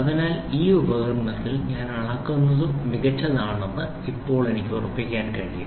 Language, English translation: Malayalam, So, that now I can make sure whatever I measure in this instrument is perfect